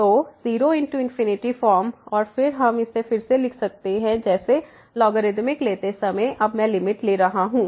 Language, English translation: Hindi, So, 0 into infinity form and then we can rewrite it as while taking the logarithmic I am we taking the limit now